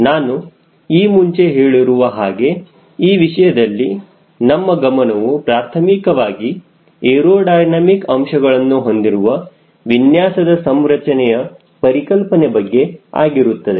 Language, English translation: Kannada, as i have told you earlier, this course will focus primarily on the conceptual configuration design, with more stress on the aerodynamic aspects